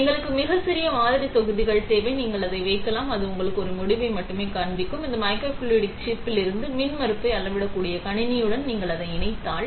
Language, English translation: Tamil, We just need a very small sample volumes, you can just put it and it will limitedly show you a result; if you connect it to a system that can measure impedance from this microfluidic chip